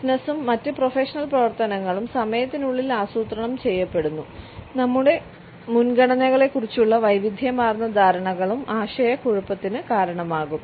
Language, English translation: Malayalam, Business and other professional activities are planned within time and diverse understandings about our preferences can also cause confusion